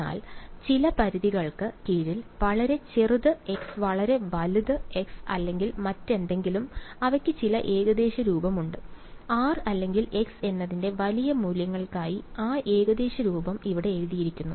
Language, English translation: Malayalam, But under some limits very small x very large x or whatever, they have some approximate form and that approximate form has been written over here for large values of r or x whatever ok